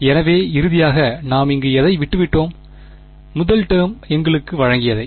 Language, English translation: Tamil, So, finally, what all did we have left over here, the first term gave us